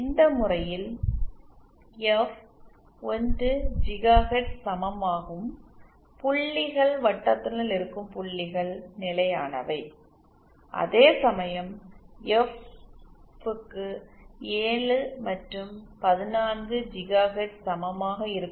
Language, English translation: Tamil, In this case for f equal to 1 gigahertz circle points inside the circle are stable whereas for f equal to 7 and 14 gigahertz points the circle are stable